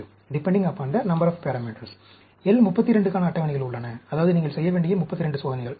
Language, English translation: Tamil, There are tables for L 32 also, that means 32 experiments you need to do